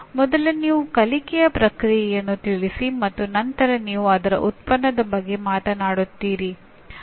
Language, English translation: Kannada, First you state the learning process and then you talk about learning product